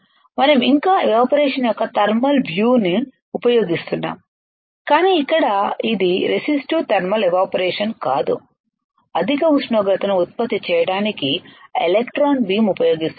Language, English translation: Telugu, We are still using the thermal view of evaporating, but here it is not a resistive thermal evaporation, we are using a electron beam to generate the high temperature